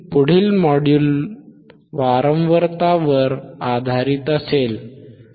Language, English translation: Marathi, The next would be based on the frequency, right